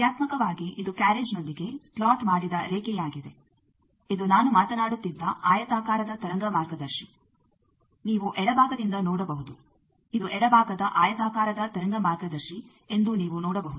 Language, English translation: Kannada, Functionally this is the slotted line with carriage this is the rectangular wave guide I was talking, you can see from the left side it is seen that this is a left side rectangular wave guide